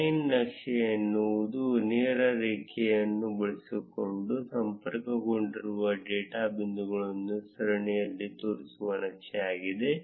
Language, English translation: Kannada, Line chart is the chart which shows series of data points that are connected using a straight line